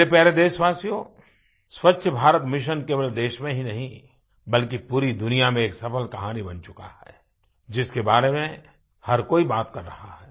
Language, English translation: Hindi, My dear countrymen, Swachh Bharat Mission or Clean India Mission has become a success story not only in our country but in the whole world and everyone is talking about this movement